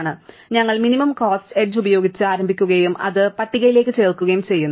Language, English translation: Malayalam, So, we start with minimum cost edge and we add it to the list